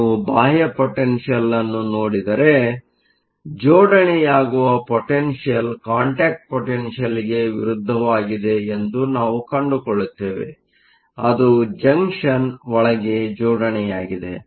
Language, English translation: Kannada, If you look at the external potential we find that, that potential is opposite to the contact potential that is being setup; that is setup within the junction